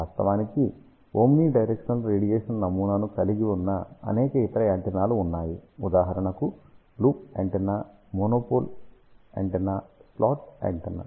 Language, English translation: Telugu, In fact, there are many other antennas which also have omni directional radiation pattern, for example, loop antenna, monopole antenna, slot antenna